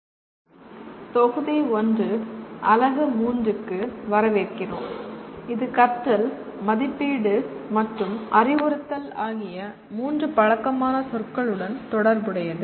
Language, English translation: Tamil, Welcome to the module 1 unit 3 which is related to three familiar words namely learning, assessment and instruction